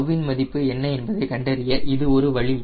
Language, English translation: Tamil, this is one way to find out what is the value of tau